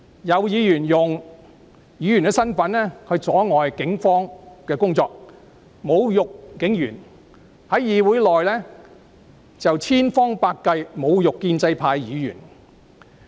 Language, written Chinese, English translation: Cantonese, 有議員用其身份阻礙警方工作，侮辱警員；在議會內又不斷找機會侮辱建制派議員。, Some of them exploited their position as Members to impede the work of the Police and insulted police officers . In this Council they insulted Members of the pro - establishment camp on every opportunity possible